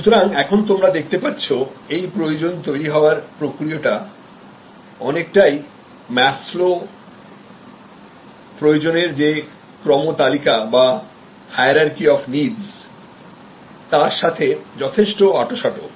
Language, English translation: Bengali, So, as you can see this need arousal, mechanisms are quite tight to the Maslow’s hierarchy of needs